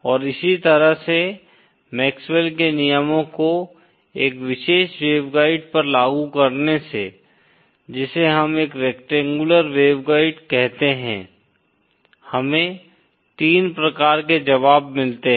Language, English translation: Hindi, And by applying MaxwellÕs laws to a particular waveguide what we call a rectangular waveguide like this, we get 3 types of solutions